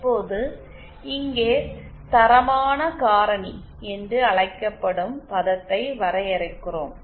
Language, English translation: Tamil, Now here, we define certain term called qualitative factor